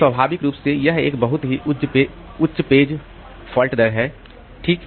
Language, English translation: Hindi, So, naturally, this is a very high page fault rate